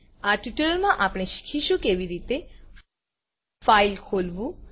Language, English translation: Gujarati, In this tutorial we will learn how, To open a file